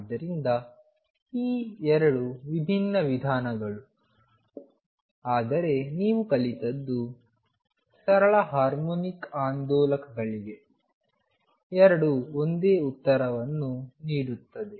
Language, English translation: Kannada, So, these 2 are very different approaches, but what you learnt is that for simple harmonic oscillators both give the same answers